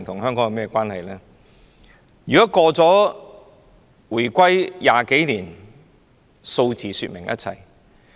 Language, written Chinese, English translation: Cantonese, 香港現已回歸20多年，數字可說明一切。, Some 20 years have passed since Hong Kongs reunification and figures are self - explanatory